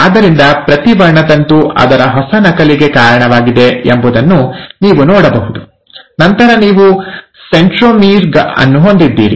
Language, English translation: Kannada, So you can see that each chromosome had given rise to its new copy, and then you had the centromere